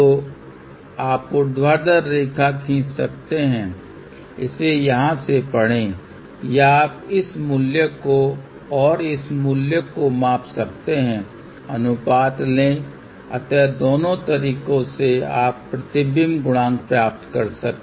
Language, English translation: Hindi, So, either you can draw the vertical line, read it from here or you measure this value and measure, this value take the ratio